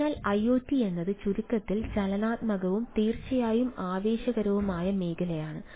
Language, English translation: Malayalam, so to summarize, iot is a dynamic and ah definitely exciting ah area